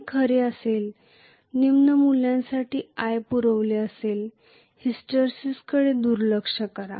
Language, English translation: Marathi, That will be true for lower values of i provided, neglect hysteresis